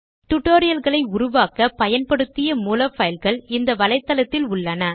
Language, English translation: Tamil, Source files used to create these tutorials are also available at this website